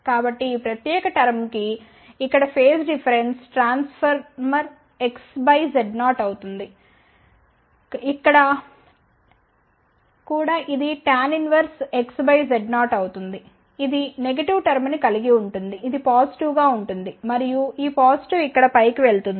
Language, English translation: Telugu, So, what is the phase difference it will experience so for this particular term here phase difference will be tan inverse X by Z 0 for this one here also it will be tan inverse X by Z 0 this will have a negative term this as a positive and this positive goes up here it will become minus